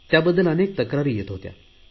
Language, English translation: Marathi, There were lots of complaints about this scheme